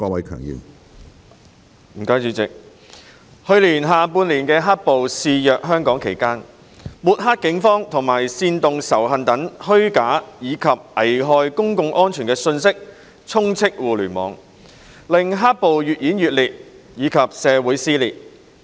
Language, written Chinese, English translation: Cantonese, 去年下半年"黑暴"肆虐香港期間，抹黑警方和煽動仇恨等虛假及危害公共安全的信息充斥互聯網，令黑暴越演越烈及社會撕裂。, In the latter half of last year when riots raged on in Hong Kong information which was false and prejudicial to public safety such as those discrediting the Police and inciting hatred was prevalent on the Internet resulting in the riots becoming increasingly violent and causing social dissension